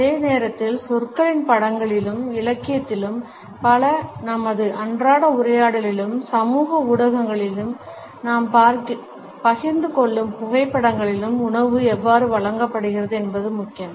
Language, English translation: Tamil, At the same time how food is presented in words and images, in literature, in our day to day dialogue, in the photographs which we share on social media etcetera is also important